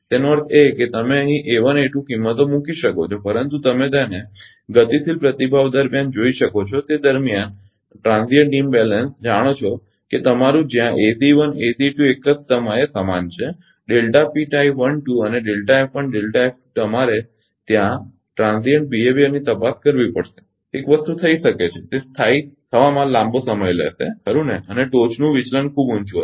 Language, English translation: Gujarati, That means, you can put here A 1, A 2 some values, but you can see during dynamic it during it is ah transient imbalance know that your where ACE ACE 1, ACE 2 same at the same time delta P tie 1 2 and delta F 1 delta F 2 you have to check there transient behaviour, one thing can happen it may take long time to settle right and may be peak deviation will be much higher